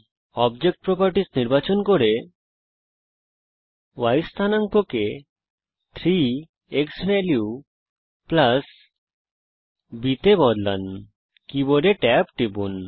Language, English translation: Bengali, Select object properties change the y coordinates to 3 xValue + b, hit tab on the keyboard